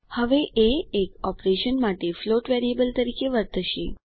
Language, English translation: Gujarati, Now a will behave as a float variable for a single operation